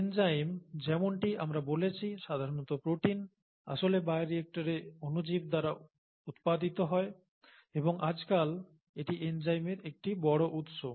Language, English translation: Bengali, Enzymes, as we said usually proteins, are actually produced by microorganisms in bioreactors and that is pretty much a source of enzymes nowadays, okay